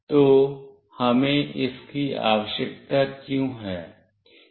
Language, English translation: Hindi, So, why we are requiring this